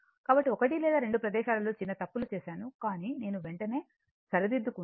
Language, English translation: Telugu, So, 1 or 2 placesam making small error somehow, but I have rectified right immediately